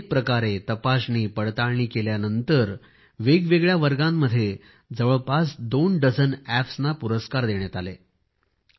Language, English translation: Marathi, After a lot of scrutiny, awards have been given to around two dozen Apps in different categories